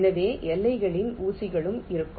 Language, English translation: Tamil, so there will be pins along the boundaries